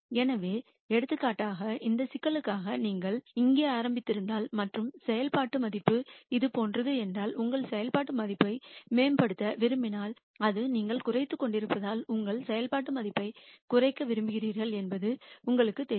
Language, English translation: Tamil, So, for example, if you started here for this problem and the function value is something like this you know that if you want to improve your function value that is it since you are minimizing you want to reduce your function value you have to keep going in this direction